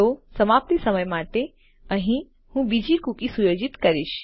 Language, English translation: Gujarati, So for our expiry time Ill set another cookie in here